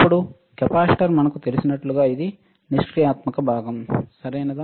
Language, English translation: Telugu, Now, capacitor as we know it is a passive component, right